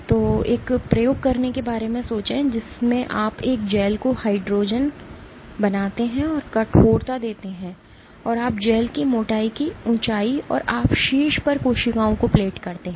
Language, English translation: Hindi, So, think of doing an experiment in which you make a gel a hydrogen and you given stiffness and you tweak the height of thickness of the gel and you plate cells on top